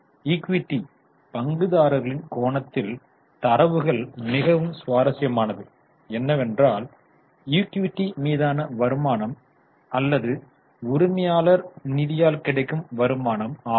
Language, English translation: Tamil, Now, from the equity shareholders angle, what could be interesting to them is return on equity or return on owner's fund